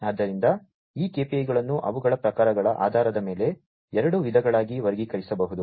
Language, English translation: Kannada, So, these KPIs based on their types can be categorized into two types